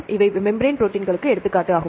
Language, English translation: Tamil, Then look into membrane proteins, they are of two types